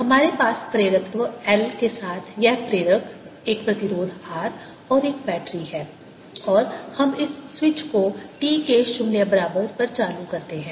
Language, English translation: Hindi, we have this inductor with inductance l, a resistance r and a battery, and let's turn this switch on at t equal to zero